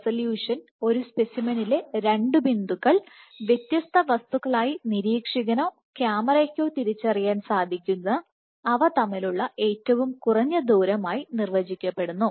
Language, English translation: Malayalam, So, the resolution is defined as the shortest distance between 2 points on a specimen that can still be distinguished by the observer or camera as separate entities